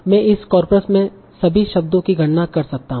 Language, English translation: Hindi, And so on I can compute for all the words in this corpus